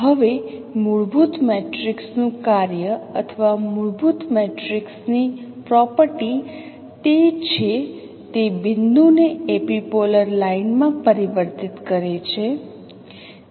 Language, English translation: Gujarati, Now the task of a fundamental matrix or the property of a fundamental matrix is that it transforms a point into the epipolar line